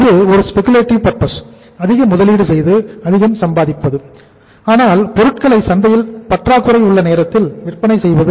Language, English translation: Tamil, It is a speculative purpose by investing more to earn more but selling the product at that time when there is a shortage of that raw material in the market